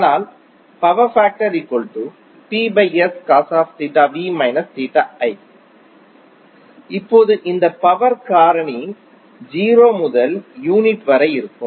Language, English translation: Tamil, Now this power factor ranges between 0 to unity